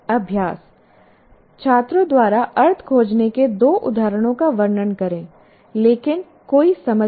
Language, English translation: Hindi, So please describe two instances of students finding sense, but no meaning